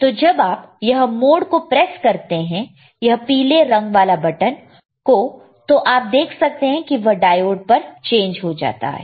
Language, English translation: Hindi, So, when you press the mode this particular yellow colour button you will see the change here now it is diode